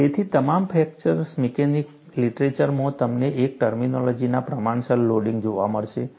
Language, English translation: Gujarati, So, in all fracture mechanics literature, you will come across the terminology proportional loading